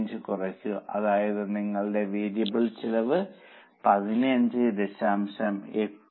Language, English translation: Malayalam, That means your variable cost should be 15